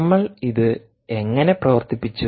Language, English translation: Malayalam, how did we make it work